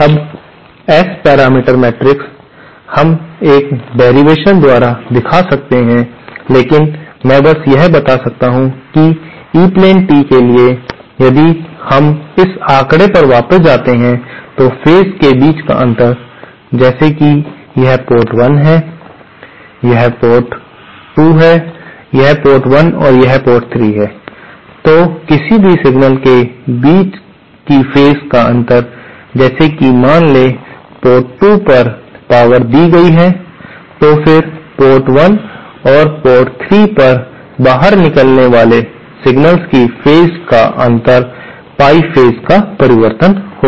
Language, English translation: Hindi, Now the S parameter matrix, we can show by a derivation but I can just simply state it that for an E plane tee, if we go back to this figure, the phase difference between say this is port 1, this is port, this is port 2, this is port 1 and this is port 3, the phase difference between any signal exiting suppose the input power at port 2, then the phase difference of the exiting signals at port 1 and port 3 will be Pie phase shifted